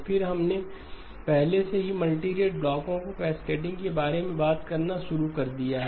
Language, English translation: Hindi, Then we already have started to talk about cascading of multirate blocks